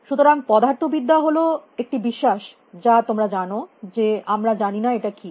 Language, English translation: Bengali, So, the physics is believe that that you know we do not know what the